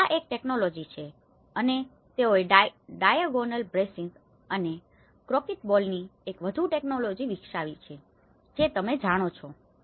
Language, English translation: Gujarati, So, this is one technology and also they developed one more technology of having a diagonal bracing and the concrete balls you know